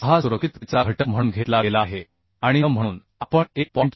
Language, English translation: Marathi, 6 has been taken as a factor of safety and n we can consider as 1